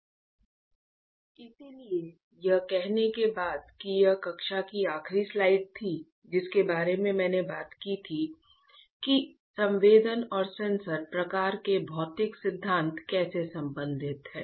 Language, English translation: Hindi, So, having said that this was the last slide in the class that I talked about that how the physical principles of sensing and sensor types are related